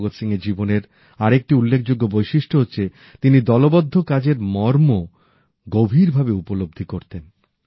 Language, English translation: Bengali, Another appealing aspect of Shahid Veer Bhagat Singh's life is that he appreciated the importance of teamwork